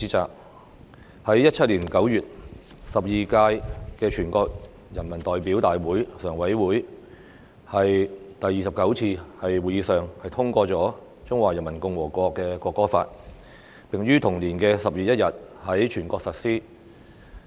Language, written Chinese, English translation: Cantonese, 在2017年9月，第十二屆全國人大常委會第二十九次會議通過《中華人民共和國國歌法》，並於同年10月1日在全國實施。, The Law of the Peoples Republic of China on the National Anthem was adopted at the 29 Meeting of the Standing Committee of the 12 National Peoples Congress NPCSC in September 2017 and has come into force nationwide since 1 October 2017